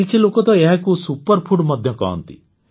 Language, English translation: Odia, Many people even call it a Superfood